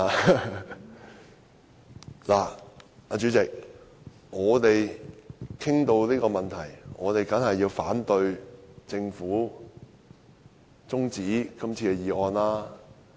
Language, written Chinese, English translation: Cantonese, 代理主席，談到這個問題，我們當然反對政府提出的休會待續議案。, Deputy Chairman as far as the subject is concerned we certainly oppose the adjournment motion moved by the Government